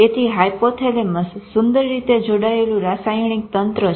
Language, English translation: Gujarati, So, hypothalamus is such a beautifully connected chemical system